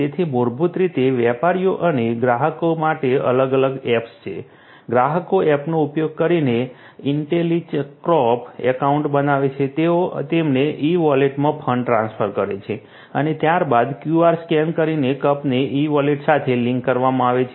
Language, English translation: Gujarati, So, basically there are separate apps for the merchants and the customers, the customers create Intellicup accounts using the app, they transfer the funds to the e wallet us and linking there after the cups are linked to the e wallet by scanning a QR code via the app and docking the cup on the dispensing unit using the Intellihead